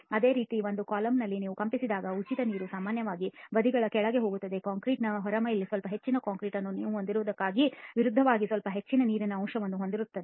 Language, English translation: Kannada, Similarly in a column also when you vibrate the free water will generally tend to go towards the sides and the exterior surface of the concrete will tend to have a slightly higher water content as oppose to what you have in the bulk of the concrete